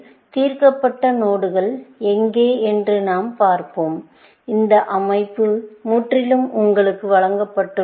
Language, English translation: Tamil, A solved node is where; this structure is entirely given to you, essentially